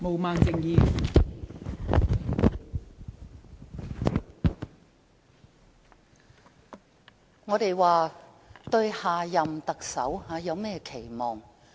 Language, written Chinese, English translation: Cantonese, 我們現在討論對下任特首的期望。, We are now discussing our expectations for the next Chief Executive